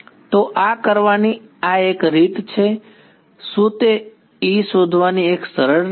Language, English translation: Gujarati, So, this is one way of doing it, is that a simpler way of doing it of finding E